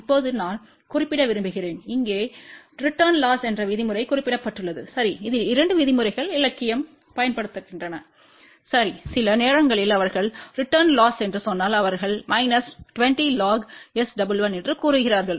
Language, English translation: Tamil, Now, I just want to mention here because the term return losses mentioned, ok see there are two terms which are used in the literature, ok sometimes they say return loss if they say return loss that is minus 20 log S 11